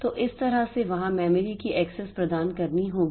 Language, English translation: Hindi, So, that way they share the memory has access has to be provided